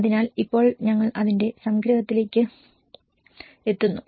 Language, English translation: Malayalam, So now, that is the end of the our summary